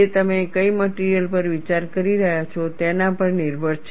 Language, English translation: Gujarati, It depends on what material you are considering